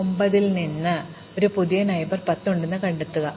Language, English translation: Malayalam, So, from 9 we find it has a new neighbour 10